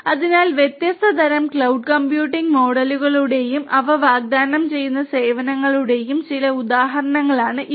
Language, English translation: Malayalam, So, these are some of these examples of different; different types of cloud computing models and the services that they offer